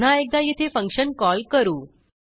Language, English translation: Marathi, Once again, we will call the function here